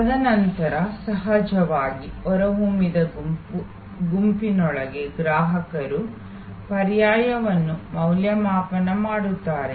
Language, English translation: Kannada, And then of course, within the evoked set the customer evaluates the alternatives